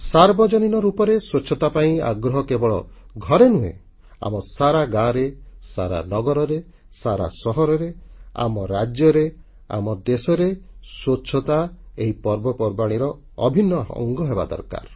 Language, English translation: Odia, Public cleanliness must be insisted upon not just in our homes but in our villages, towns, cities, states and in our entire country Cleanliness has to be inextricably linked to our festivals